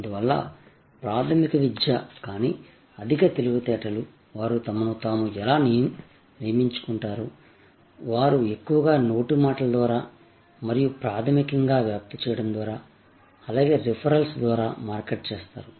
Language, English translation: Telugu, Therefore, rudimentary education, but high intelligence, I think that is how they kind of recruit themselves, they market mostly by word of mouth and by basically spreading out, so and referrals